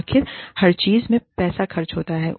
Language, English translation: Hindi, After all, everything costs money